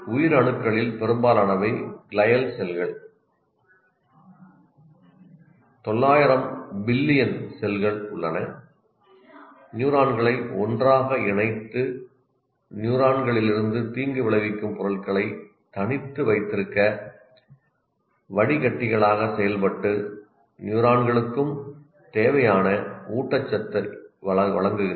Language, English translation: Tamil, And most of the cells are glial cells, that is, 900 billion cells, they hold the neurons together and act as filters to keep and harmful substances out of the neurons and provide the required nutrition to the neurons as well